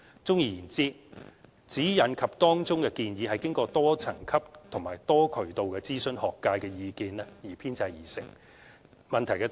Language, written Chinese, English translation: Cantonese, 綜而言之，《指引》及當中的建議是經過多層級及多渠道諮詢學界意見等編製而成。, In summary SECG and the suggestions contained therein were the fruit of multi - tier and multi - channel consultation of academics